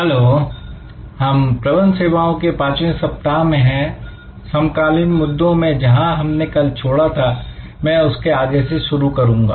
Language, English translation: Hindi, Hello, so we are in week 5 of Managing Services, Contemporary Issues, I will continue from where I left of yesterday